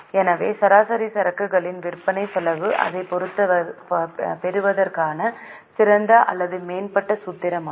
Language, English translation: Tamil, So, cost of sales upon average inventory is the better or improved formula